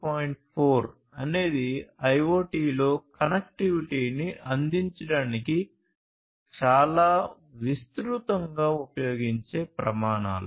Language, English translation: Telugu, 4 is one such very widely used standards for offering connectivity in IoT